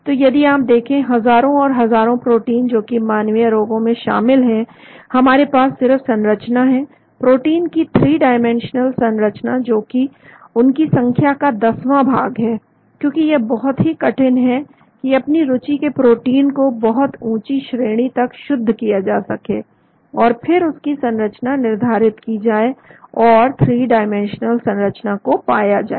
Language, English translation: Hindi, So if you look at a thousands and thousands of proteins that are involved in human diseases, we have only structures, 3 dimensional structures proteins which are one tenth of that number , because it may be very difficult to purify to a high degree the protein of our interest, and then crystallize it and get the 3 dimensional structure